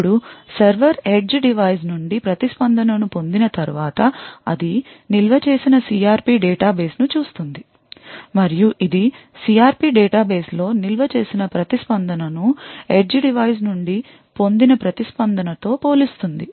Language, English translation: Telugu, Now once the server obtains the response from the edge device, it would look of the CRP database that it has stored and it would compare the CRP the response stored in the database with the response obtained from the edge device